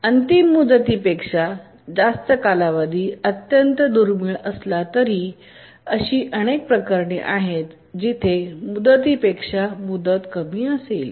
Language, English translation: Marathi, Of course, deadline being more than a period is extremely rare whereas there are many cases where the deadline is less than the period